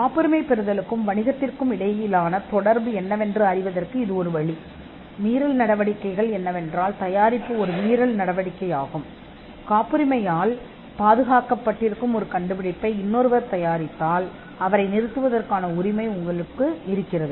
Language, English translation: Tamil, This is one way to know that the connect between the patenting and business is that, the acts of infringement are manufacture as an act of infringement, if somebody else manufactures a invention that is covered by a patent, you have a right to stop that person